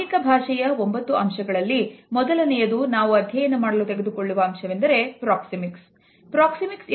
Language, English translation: Kannada, The first aspect of body language which we are going to study is Proxemics